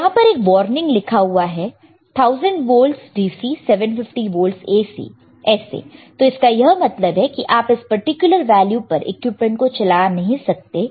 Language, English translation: Hindi, There is written here warning is a warning 1000 volts DC, 750 volts AC, 1000's volt DC, 750 volts AC may means that you cannot operate this equipment at that particular voltage is